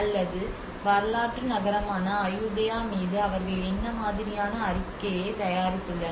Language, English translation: Tamil, Or what kind of report they have produced on the historic city of Ayutthaya